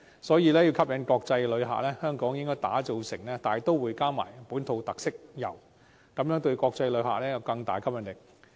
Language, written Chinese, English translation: Cantonese, 所以，要吸引國際旅客，便要推廣大都會的本土特色遊，這樣做對國際旅客會有更大吸引力。, Therefore to attract international visitors we have to promote tours in a metropolis with local characteristics as this will be more attractive to international visitors